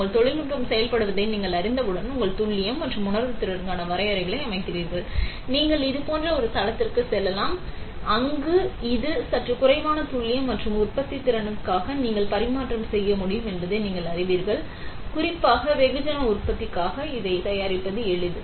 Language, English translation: Tamil, Once you know your technology is working, you set benchmarks for your accuracy and sensitivity; you can move on to a platform like this, where you know that it is to have a slightly lesser accuracy and which you can tradeoff for manufacturability, this is easy to manufacture especially for mass manufacturing